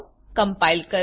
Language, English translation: Gujarati, Let us compile